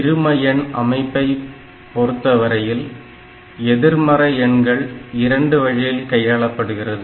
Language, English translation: Tamil, And when we are talking about this binary number system, then this negative numbers are handled in 2 different ways